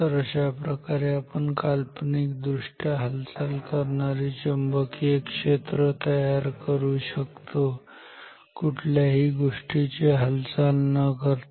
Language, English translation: Marathi, So, this is how we can create a virtually moving magnetic field without any physical object being moving ok